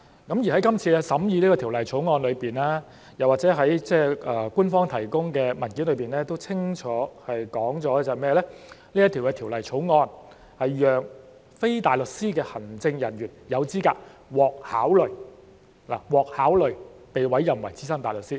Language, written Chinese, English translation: Cantonese, 《條例草案》審議期間政府當局曾指出，又或是官方提供的文件都清楚指出，《條例草案》是讓非大律師的律政人員有資格獲考慮——"獲考慮"——被委任為資深大律師。, As pointed out by the Administration during the scrutiny of the Bill or as clearly stated in the papers provided by the Administration the Bill is to enable legal officers to be eligible for consideration―for consideration―to be appointed as SC